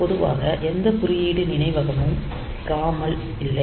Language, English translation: Tamil, So, no code memory is in general ROM